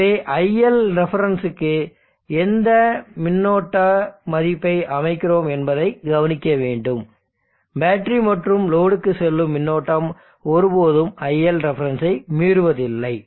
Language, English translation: Tamil, So observe that what are our current value you are setting iLref, iLref the inductor current and the current that this is going to be the battery load combine never exceeds the iLref